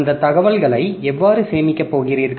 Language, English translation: Tamil, So, those information how are you going to store